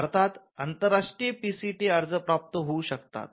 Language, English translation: Marathi, India can receive international PCT applications